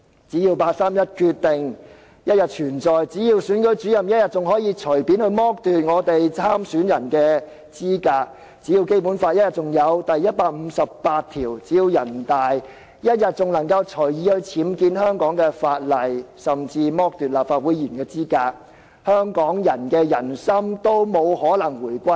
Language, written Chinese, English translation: Cantonese, 只要八三一決定仍然存在，只要選舉主任仍然可以隨便剝奪參選人的資格，只要《基本法》仍然有第一百五十八條，只要人大仍然能夠隨意僭建香港的法例，甚至剝奪立法會議員的資格，香港人的人心也不可能回歸。, As long as the 31 August Decision is still valid; as long as the Returning Officer can still arbitrarily deprive candidates of the right to stand for election; as long as Article 158 of the Basic Law is still in place; as long as the National Peoples Congress can still arbitrarily add provisions to the laws of Hong Kong and even disqualify Legislative Council Members Hong Kong people will not possibly return to the Motherland in heart